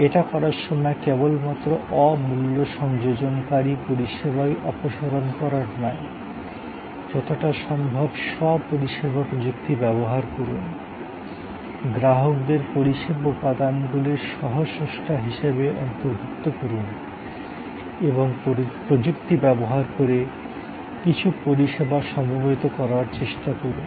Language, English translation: Bengali, In the process try to, not only eliminate non value adding services, use as much of self service technology as possible, include customers co creation of the service elements, but try also to bundle some services using technology